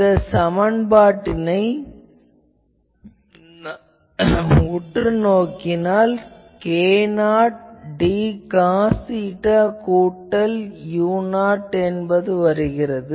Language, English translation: Tamil, So, then if you look at this expression, u is equal to k 0 d cos theta plus u 0